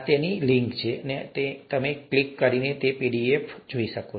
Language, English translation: Gujarati, This is the link to that which will be available on the other clickable pdf that you’ll have